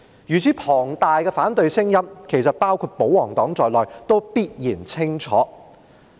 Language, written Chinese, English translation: Cantonese, 如此龐大的反對聲音，其實包括保皇黨也必然清楚聽見。, In fact they including the pro - Government camp must have heard such a large voice of opposition unequivocally